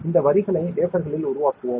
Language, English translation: Tamil, And we will make these lines on the wafer